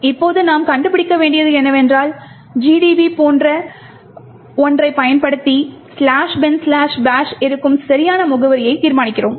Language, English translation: Tamil, Now what we need to find out is by using, something like GDB we determine the exact address where slash bin slash bash is present